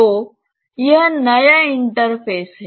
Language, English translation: Hindi, So, this is the new interface